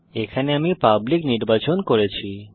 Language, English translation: Bengali, Here I have selected public